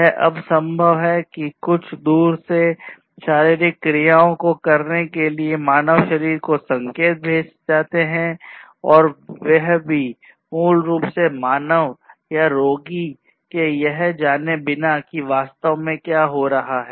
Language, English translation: Hindi, So, it is now possible that remotely you could send signals to the human body to perform certain physiological operations within a human, without basically having the human go through or rather the human being or the patient being able to know what is actually happening